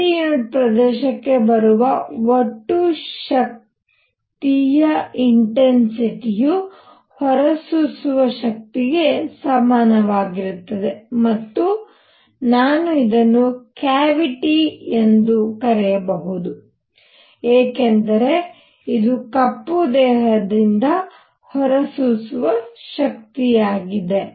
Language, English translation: Kannada, Total power coming out per unit area is nothing but the intensity, and this is also equal to the emissive power and I can write this as cavity e because this is a emissive power of a black body